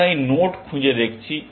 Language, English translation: Bengali, We do investigate this node